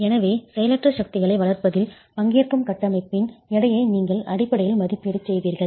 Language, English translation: Tamil, So, you are basically making an estimate of the weight of the structure that will participate in developing inertial forces